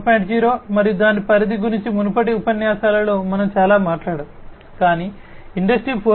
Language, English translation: Telugu, 0 we have talked a lot in the previous lectures about Industry 4